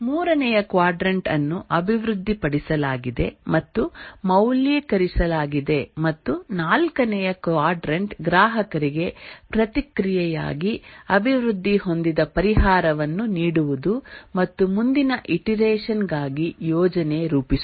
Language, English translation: Kannada, The third quadrant is developed and validate and the fourth quadrant is give the developed solution to the customer for feedback and plan for the next iteration